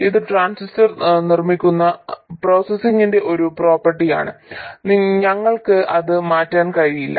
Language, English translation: Malayalam, It's a property of the processing with which the transistor is made and we can't change that